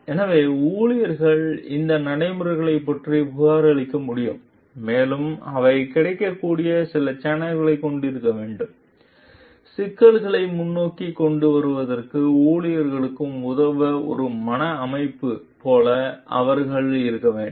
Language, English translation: Tamil, So that employees can report about these practices and they must have some channels which are available; they must have like a mental setup to assist the employees in bring the issues forward